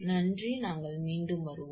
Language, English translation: Tamil, Thank you, again we will be back